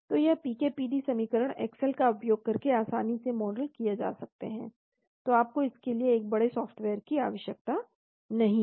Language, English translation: Hindi, So these PK PD equation can be easily modeled using Excel, so you do not need a great software for this